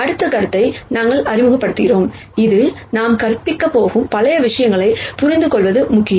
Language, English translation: Tamil, We introduce the next concept, which is important for us to understand many of the things that we are going to teach